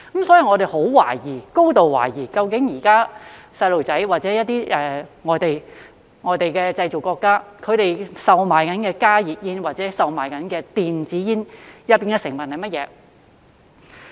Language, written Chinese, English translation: Cantonese, 所以，我高度懷疑，究竟現時小朋友吸食的或外國製造商正在售賣的加熱煙或電子煙當中有甚麼成分。, Therefore I am highly suspicious of the ingredients of HTPs or e - cigarettes smoked by children or sold by foreign manufacturers nowadays